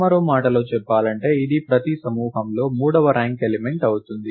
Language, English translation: Telugu, In other words this will be the third ranked element in each group